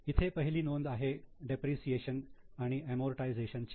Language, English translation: Marathi, The first item is depreciation and amortization expenses